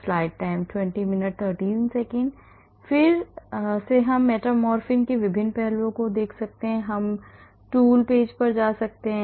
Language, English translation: Hindi, So, again we can look at different aspects of metformin we can go to the tools page